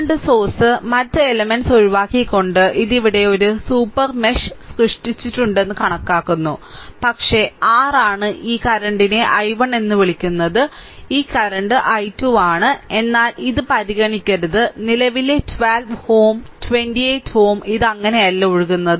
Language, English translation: Malayalam, By excluding the current source and the other elements, this is at it is shown in that this there is a super mesh is created, right, but it is your what you call this current is i 1 this current is i 2, right, but do not consider a same current 12 ohm 28 ohm this is flowing no not like that